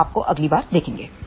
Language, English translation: Hindi, We will see you next time